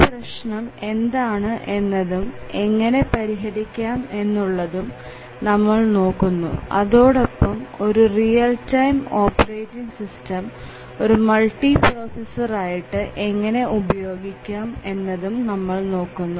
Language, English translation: Malayalam, We will analyse the problem and see what the solutions are and then we will look at how do we use a real time operating system in a multiprocessor